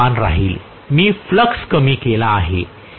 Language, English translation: Marathi, The speed will remain the same, I have reduced the flux